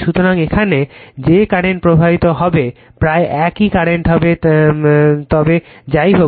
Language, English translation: Bengali, So, whatever current will flowing here almost current will be same current will be flowing here right, but anyway